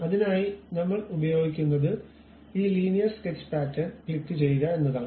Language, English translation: Malayalam, For that we use this Linear Sketch Pattern